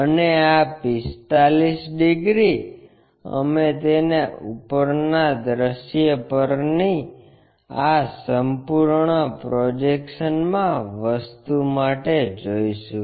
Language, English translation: Gujarati, And, this 45 degrees we will be going to see it for this complete projection thing on the top view